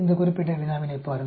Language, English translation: Tamil, Look at this particular problem